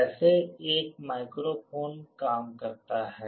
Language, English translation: Hindi, This is how a microphone works